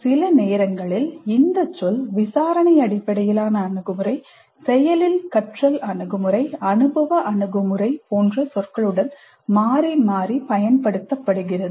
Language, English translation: Tamil, Sometimes the term is used interchangeably with terms like inquiry based approach, active learning approach, experiential approach and so on